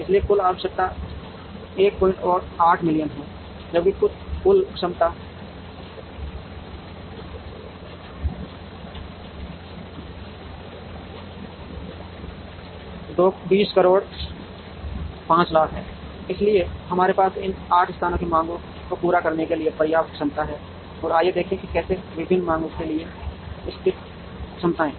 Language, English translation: Hindi, 8 million whereas, the total capacity is 2 0 5 0 0 0 0, so we have enough capacity to meet the demands of these 8 places and let us see how the capacities located to the various demands